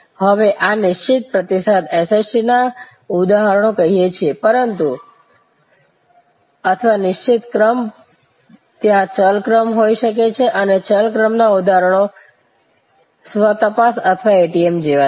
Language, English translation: Gujarati, Now, these are instances of fixed response SST's as we call them, but or fixed sequence, but there can be variable sequence and variable sequence instances are like the self checking or ATM